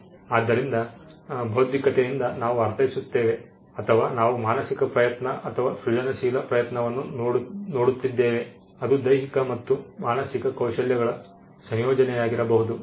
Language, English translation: Kannada, So, intellectual by intellectual we mean, or we are looking at the mental effort or the creative effort, which could be a combination of physical and mental skills